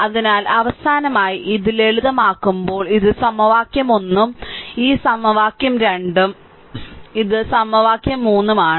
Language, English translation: Malayalam, So, finally, upon simplification this one this is equation 1 this equation 2 and this is equation 3